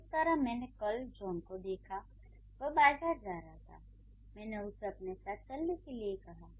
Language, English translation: Hindi, I can say, I saw John yesterday, he was going to the market and I called him to come with me